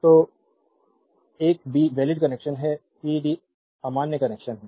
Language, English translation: Hindi, So, a b are valid connection c d are invalid connection